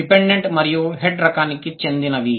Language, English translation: Telugu, It goes with the dependent and head type